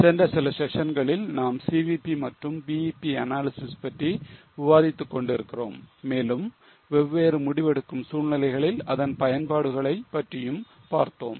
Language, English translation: Tamil, In last few sessions, in last few sessions we are discussing about CVP analysis, BEP analysis and its applications in various type of decision making scenarios